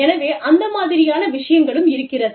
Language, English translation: Tamil, So, that kind of thing, is there